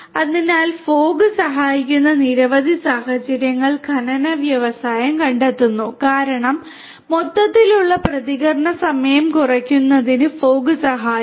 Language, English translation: Malayalam, So, mining industry finds lot of these scenarios where fog can help, because fog can help in reducing the overall response time